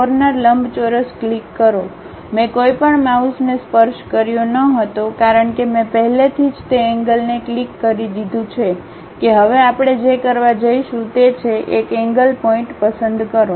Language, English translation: Gujarati, Click Corner Rectangle; I did not touched any mouse because I already clicked that corner moved out of that now what we are going to do is, pick one of the corner points